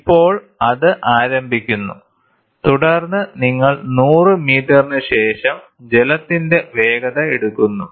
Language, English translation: Malayalam, Now it starts, and then you take for after 100 meter the velocity of the water